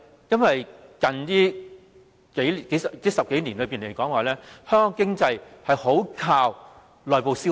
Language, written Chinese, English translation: Cantonese, 因為在最近10多年來，香港經濟非常依靠內部消費。, Because in the last 10 - odd years the Hong Kong economy largely relied on domestic consumption